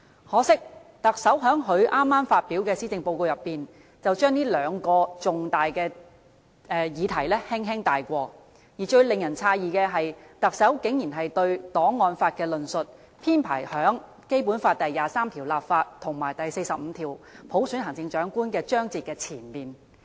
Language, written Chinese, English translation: Cantonese, 可惜，特首在剛發表的施政報告中，只是把這兩個重大議題輕輕帶過，而最令人詫異的是，特首竟然對檔案法的論述，編排於《基本法》第二十三條立法和第四十五條落實普選行政長官的章節之前。, Regrettably the Chief Executive has only briefly touched on these two important subjects in her Policy Address just delivered . What took us by surprise is that the Chief Executive has put the discussion on archives law before the sections on Legislating for Article 23 of the Basic Law and Article 45 of the Basic Law Selection of the Chief Executive by Universal Suffrage . Archives legislation is important